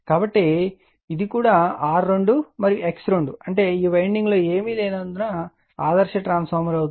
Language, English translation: Telugu, So, and this is also R 2 X 2 that means, this winding as it nothing is there, there ideal transformer